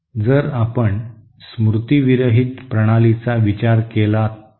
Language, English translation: Marathi, So if you consider a memory less system